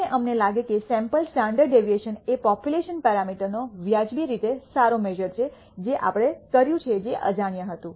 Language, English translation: Gujarati, And we find that the sample standard deviation is a reasonably good measure of the population parameter which we did which was unknown